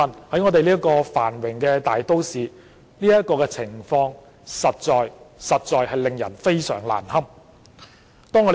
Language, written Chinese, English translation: Cantonese, 在香港這個繁榮的大都市裏，這個情況實在令人非常難堪。, In Hong Kong which is a prosperous metropolis it is an exceedingly unbearable situation